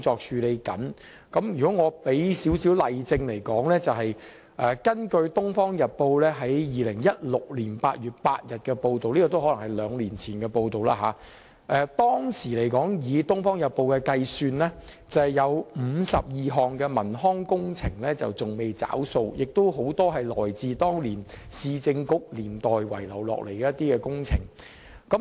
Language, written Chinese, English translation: Cantonese, 如果要我給予少許例證，我可引述《東方日報》2016年8月8日的報道，這是兩年前的報道。當時《東方日報》計算，共有52項文康工程仍未"找數"，有很多是來自兩個市政局年代遺留下來的工程。, If I am to cite a few examples there is an article published two years ago in the Oriental Daily News on 8 August 2016 which found 52 outstanding works projects on culture and recreation facilities and many of them were left behind from the two Municipal Councils